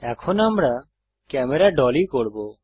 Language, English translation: Bengali, Next we shall dolly the camera